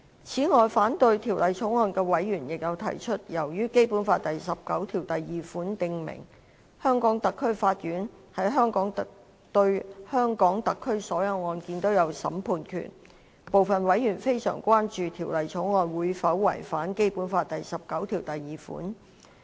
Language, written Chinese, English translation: Cantonese, 此外，反對《條例草案》的委員亦有提出，由於《基本法》第十九條第二款訂明，香港特區法院對香港特區所有案件均有審判權，部分委員非常關注《條例草案》是否會違反《基本法》第十九條第二款。, In addition members who oppose the Bill also indicate that as Article 192 of the Basic Law stipulates that the courts of HKSAR shall have jurisdiction over all cases in HKSAR some members are gravely concerned about whether the Bill would contravene Article 192 of the Basic Law